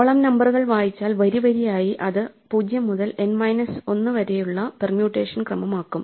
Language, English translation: Malayalam, The column numbers if we read then row by row, the column numbers form a permutation of 0 to N minus 1